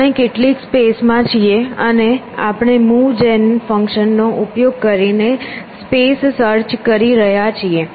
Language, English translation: Gujarati, We are in some space and we are exploring the space by using move gen function